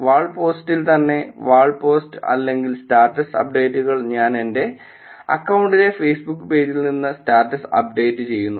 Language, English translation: Malayalam, In the wall post itself, wall post or the status updates I actually do status update from the Facebook page in my account